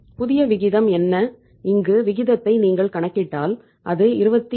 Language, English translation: Tamil, What is the new ratio if you calculate the new ratio here that is 27